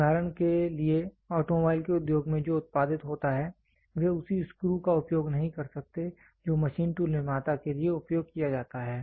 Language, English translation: Hindi, For example, what is produced in the industry of automobile they cannot use the same screw which is used for machine tool manufacturer